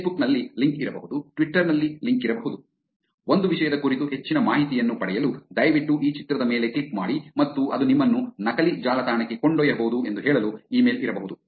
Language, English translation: Kannada, There could be a link on Facebook, there could be a link on Twitter; there could be an email to say, please click on this image to get some more information about a topic and it could actually take you to a fake website